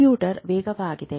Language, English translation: Kannada, The computer is much faster